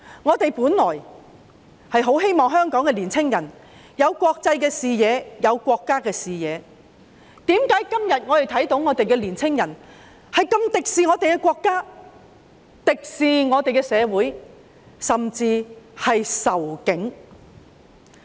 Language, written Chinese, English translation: Cantonese, 我們本來希望香港的年青人可以有國際視野、有國家的視野，但為何本港的年青人今天竟如此敵視我們的國家、社會，甚至仇警？, It is our hope that young people in Hong Kong will gain an international outlook and a national perspective . Yet why are the young people of Hong Kong so hostile to our country society and even the Police today?